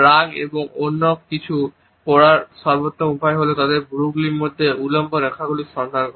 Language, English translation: Bengali, The best way to read anger and someone else is to look for vertical lines between their eyebrows